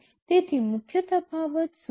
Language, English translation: Gujarati, So, what are the main differences